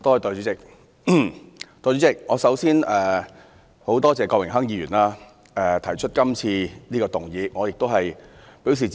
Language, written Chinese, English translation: Cantonese, 代理主席，我首先很感謝郭榮鏗議員提出今次的議案，我亦表示支持。, Deputy President first of all I thank Mr Dennis KWOK for moving todays motion . I support this motion